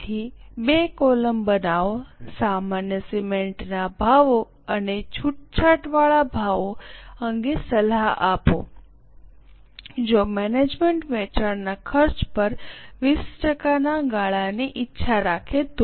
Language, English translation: Gujarati, So, please make two columns and advice on normal cement prices and concessional prices if management desires a margin of 20% on cost of sales